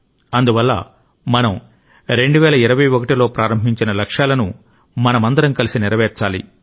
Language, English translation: Telugu, Therefore, the goals with which we started in 2021, we all have to fulfill them together